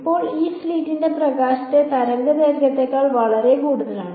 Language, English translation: Malayalam, Now, this slit is much bigger than the wave length of light